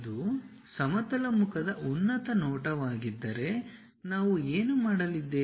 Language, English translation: Kannada, If it is a top view the horizontal face what we are going to do